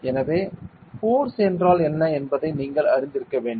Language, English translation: Tamil, So, you must be aware of force what is a force